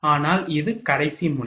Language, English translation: Tamil, But it is the last node